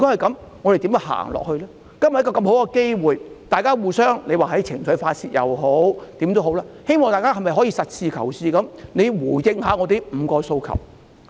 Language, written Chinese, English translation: Cantonese, 今天有這個大好機會，不論大家是互相發泄情緒或怎樣，政府可否以實事求是的態度回應我們的5項訴求？, We have this great opportunity today so no matter we are venting our spleen on one another or whatever else can the Government respond to our five demands in a realistic and down - to - earth manner?